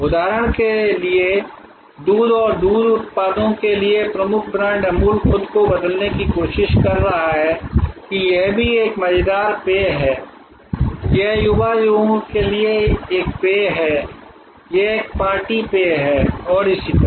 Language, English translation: Hindi, For example, Amul the dominant brand for milk and milk products is trying to reposition itself, that it is also a fun drink, it is a drink for the young people, it is a party drink and so on